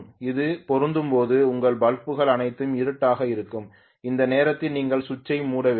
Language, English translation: Tamil, When it matches your bulbs will be all dark at that point you have to close the switch